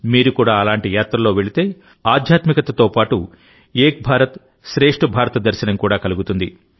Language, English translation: Telugu, If you too go on such a journey, you will also have a glance of Ek Bharat Shreshtha Bharat along with spirituality